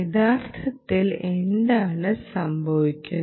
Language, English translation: Malayalam, what is actually happening